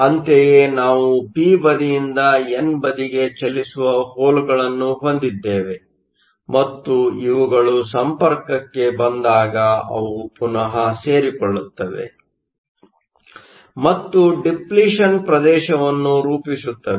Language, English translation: Kannada, Similarly, we have holes which move from to p side to the n side, and when these meet they recombine and form a depletion region